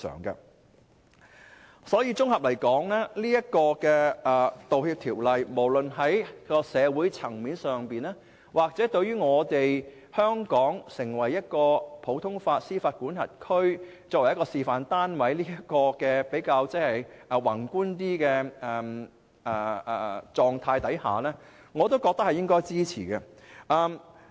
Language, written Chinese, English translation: Cantonese, 因此，綜合而言，我認為《條例草案》無論在社會層面上，還是從香港成為普通法適用地區示範單位這個比較宏觀的角度衡量，均應予以支持。, Therefore generally speaking I consider the Bill worth supporting both from a social perspective and from a more macro angle of developing Hong Kong into a role model of other common law jurisdictions